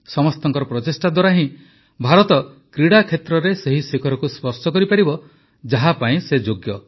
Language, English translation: Odia, It is only through collective endeavour of all that India will attain glorious heights in Sports that she rightfully deserves